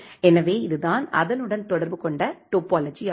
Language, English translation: Tamil, So, this is the topology corresponds to that